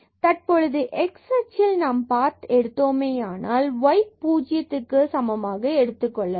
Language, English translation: Tamil, And now if we take path here along the x axis; that means, the delta y this y will be set to 0